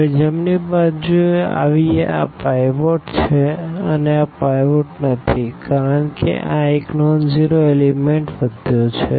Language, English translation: Gujarati, Now, coming to the right one this is pivot see this is not the pivot here because the left you have a non zero element